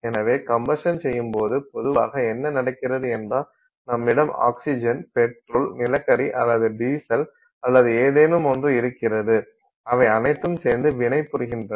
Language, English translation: Tamil, So, when you do this combustion, what is typically happening is that you have oxygen, you have this, you know fuel, petrol or coal or diesel or something and they react